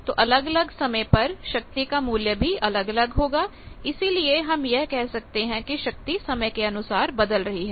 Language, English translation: Hindi, So, with time there will be various values of this power that is why we say power varies during with time